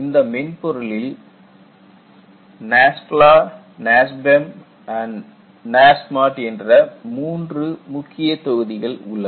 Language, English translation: Tamil, The software contains three main modules; NASFLA, NASBEM and NASMAT